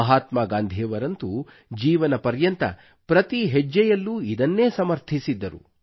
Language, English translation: Kannada, Mahatma Gandhi had advocated this wisdom at every step of his life